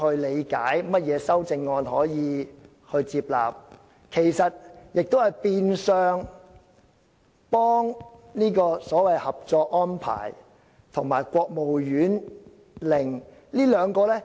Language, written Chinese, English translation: Cantonese, 你是否接納修正案，其實是變相幫助所謂《合作安排》及國務院令的實施。, Your approval of the proposed amendments or otherwise will actually facilitate the implementation of the Co - operation Arrangement and the Order of the State Council